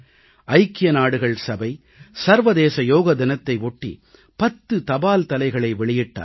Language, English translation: Tamil, On the occasion of International Day of Yoga, the UN released ten stamps